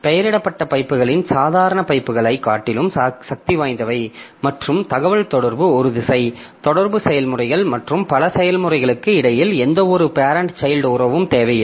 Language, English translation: Tamil, So, named pipes are more powerful than ordinary pipes and the communication is bidirectional, no parent child relationship necessary between the communicating processes and several processes can use named pipe for communication